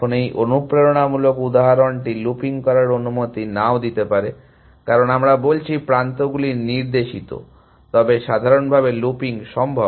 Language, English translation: Bengali, Now, this motivating example may not allow for looping, because we have said the edges are directed, but in general of course, looping is possible